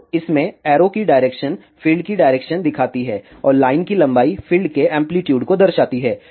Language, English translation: Hindi, So, in this the direction of arrow shows the direction of field and the length of line represents the amplitude of the fields